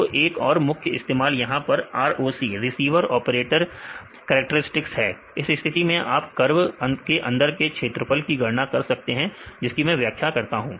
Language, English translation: Hindi, So, another measure use here a ROC; Receiver Operator Characteristics; in this case you can calculate from this area under the curve, this I will explain now